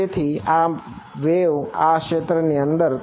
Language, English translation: Gujarati, So, this is my wave is inside this region over here